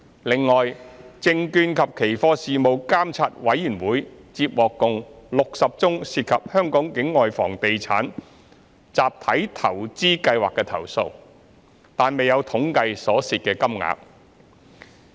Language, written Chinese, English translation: Cantonese, 另外，證券及期貨事務監察委員會接獲共60宗涉及香港境外房地產集體投資計劃的投訴，但未有統計所涉金額。, Besides the Securities and Futures Commission SFC received 60 complaints which involved collective investment schemes with non - local real estates but SFC has not compiled statistics on the amount of money involved in these cases